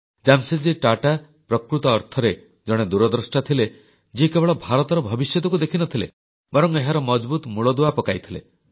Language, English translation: Odia, Jamsetji Tata was a true visionary, who not only foresaw India's future, but also duly laid strong foundations